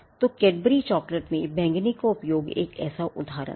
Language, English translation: Hindi, So, the use of purple in Cadbury chocolates is one such instance